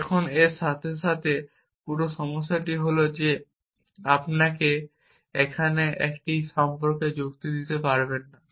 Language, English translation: Bengali, Now, the whole problem with this is that you cannot reason about it here, you cannot reason about it here